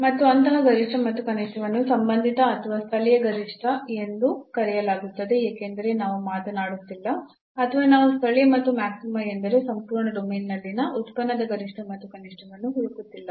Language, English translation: Kannada, And such maximum or minimum is called relative or local maximum because we are not talking about or we are not searching the local and maxima, the maximum and the minimum of the function in the entire domain